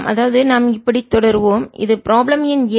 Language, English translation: Tamil, we know this is problem number seven